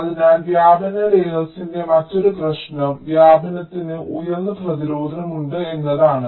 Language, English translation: Malayalam, so an another problem with the diffusion layer is that diffusion is also having high resistance